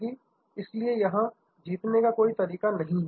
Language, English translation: Hindi, So, therefore, there is no way of a winning